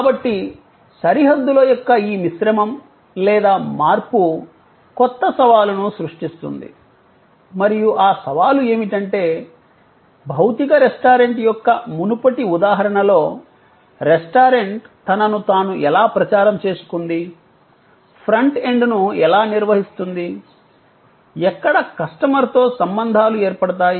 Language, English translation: Telugu, So, this mix or transience of the boundaries, create new challenge and that challenge is that in the earlier example of a physical restaurant, how the restaurant publicized itself, how it manage the front end, where it comes in contact with the customer